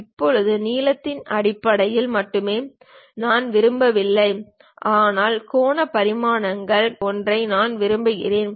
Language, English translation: Tamil, Now, I do not want only in terms of length, but something like angular dimensions I would like to have it